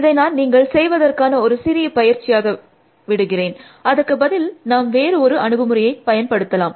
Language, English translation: Tamil, So, I will leave this as a small exercise for you to do, we will inset use another approach